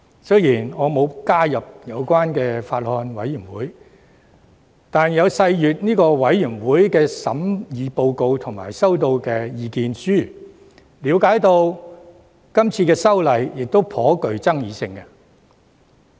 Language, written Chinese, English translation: Cantonese, 雖然我並未加入有關的法案委員會，卻有細閱法案委員會提交的審議報告及所收到的意見書，並了解這項修訂法案頗具爭議性。, Although I have not joined the relevant Bills Committee I have carefully studied the deliberation report submitted and submissions received by the Bills Committee . I understand that the Bill is pretty controversial